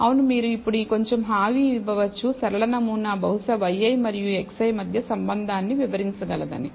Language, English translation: Telugu, Yes you can now be a little bit assurance, you get that the linear model perhaps can explain the relationship between y i and x i